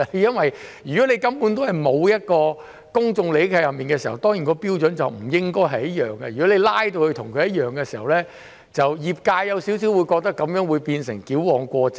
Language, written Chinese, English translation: Cantonese, 如果根本沒有涉及公眾利益，標準便不應該一樣，如果把標準拉至一樣的時候，業界會覺得有點矯枉過正。, If there is no public interest involved the standards should not be the same and if the standards are raised to the same level the industry will feel that it is an overkill